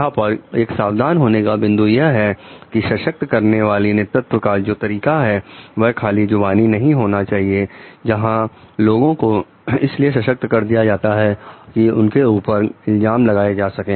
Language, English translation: Hindi, Also a point of caution over here like this empowering leadership style should not only be a lip service done where we find like people are empowered in order to show that it is a passing on the blame kind of thing